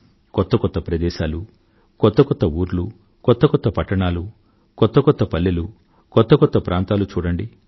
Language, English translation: Telugu, New places, new cities, new towns, new villages, new areas